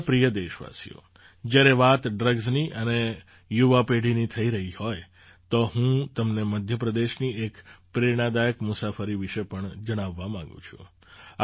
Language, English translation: Gujarati, My dear countrymen, while talking about drugs and the young generation, I would also like to tell you about an inspiring journey from Madhya Pradesh